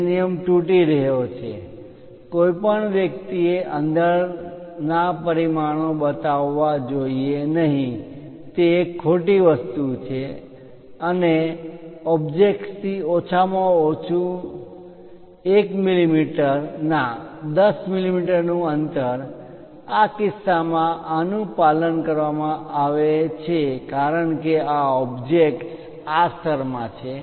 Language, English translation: Gujarati, The rule it is breaking, one should not show dimensions inside of that object that is a wrong thing and minimum 1 millimeter gap from the ah 10 millimeter gap one has to use from the object, in this case these are followed because object is in this level